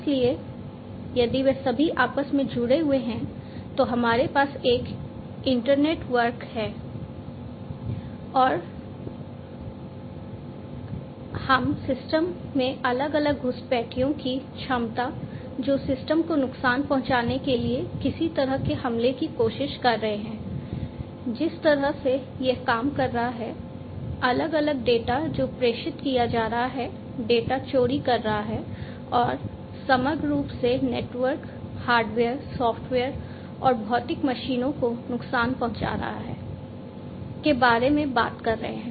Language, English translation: Hindi, So, if they are all interconnected we have an internetwork, and if we have an internetwork we are talking about the potential of different intruders getting into the system and trying to launch some kind of attack to harm the system, the way it is operating, the different data that are being transmitted, stealing the data, overall harming the network, the hardware the software etcetera and the physical machines themselves